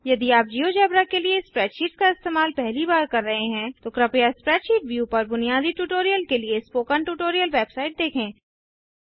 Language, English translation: Hindi, If this is the first time you are using spreadsheets for geogebra please see the spoken tutorial web site for the spreadsheet view basic tutorial